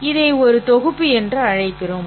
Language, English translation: Tamil, We call a collection of objects